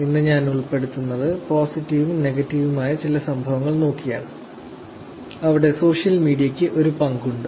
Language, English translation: Malayalam, What I will cover today is actually looking at some of the incidences, both positive and negative where social media has actually a played role